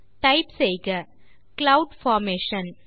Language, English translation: Tamil, Let us type the text Cloud Formation